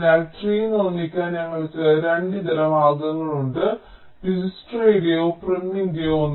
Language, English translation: Malayalam, ok, so we have two alternate ways of constructing the tree: dijstras or prims